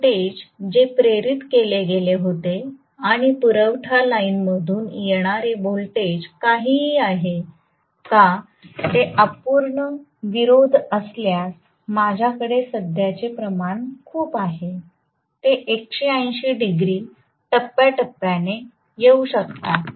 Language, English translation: Marathi, Whether the voltages that were induced and whatever is the voltage that is coming from the supply line, if they are incomplete opposition, I will have a huge amount of current, they can 180 degrees out of phase, very much why not right